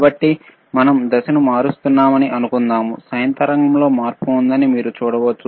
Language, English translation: Telugu, So, suppose we are changing the phase, you can see that there is a change in the sine wave